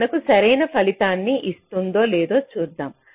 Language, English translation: Telugu, lets see whether this gives us the correct result